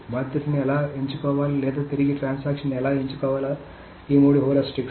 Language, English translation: Telugu, So these are the three heuristics of how to choose the victim or how to choose a transaction to roll back